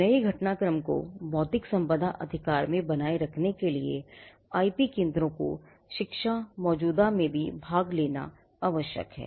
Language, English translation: Hindi, Keeping track of developments new developments in intellectual property right requires IP centres to also participate in ongoing education